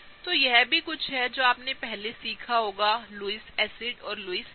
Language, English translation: Hindi, So, this is also something you must have learnt before, Lewis acids and Lewis bases